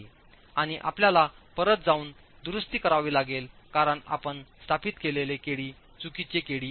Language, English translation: Marathi, And you have to go back and make amends because the KD that you've established is a wrong KD now